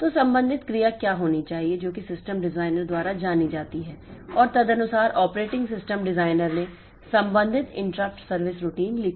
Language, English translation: Hindi, So, what the corresponding action should be that is known to the system designer and accordingly the operating system designer has retained the corresponding interrupt service routine